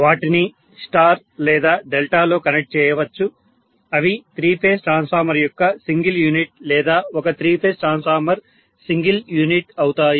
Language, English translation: Telugu, They can be connected in star or delta that is the single unit of three phase transformer or as a three phase transformer single unit